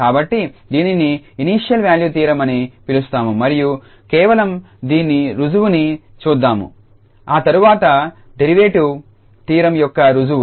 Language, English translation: Telugu, So, this is so called initial value theorem and just to go through the proof of this is a quick proof with derivative theorem